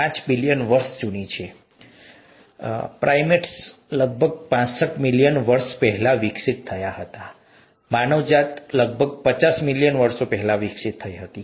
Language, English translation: Gujarati, This earth is probably four point five billion years old, primates developed about sixty five million years ago, mankind, humans developed about fifty million years ago round about that some million years ago